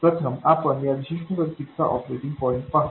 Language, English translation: Marathi, So first let's look at the operating point of this particular circuit